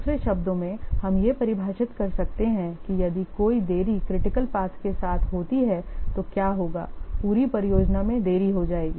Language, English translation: Hindi, In other words, we can define that if any delay occurs along a critical path, then what will happen